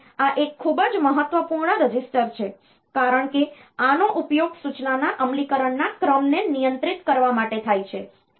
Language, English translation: Gujarati, So, this is a very important register, because this is used to control the sequencing of execution of instruction